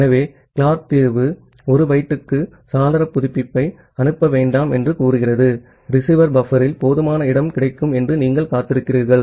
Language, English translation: Tamil, So, the Clark solution says that do not send window update for 1 byte, you wait for sufficient space is available at the receiver buffer